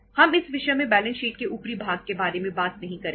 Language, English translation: Hindi, We are not going to talk about the upper part of the balance sheet in this subject